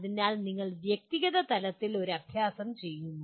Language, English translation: Malayalam, So you do an exercise at individual level